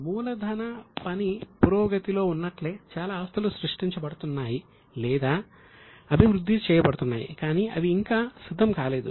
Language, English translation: Telugu, Just like capital work in progress, lot of intangible assets are being created or being developed but still they are not ready